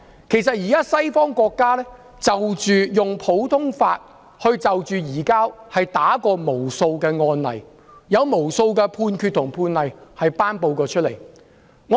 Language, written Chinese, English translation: Cantonese, 其實，西方國家在普通法制度下，已處理無數移交逃犯的案例，並頒布無數判決。, In fact under the common law system Western countries have dealt with numerous cases concerning surrender of fugitive offenders and handed down numerous judgments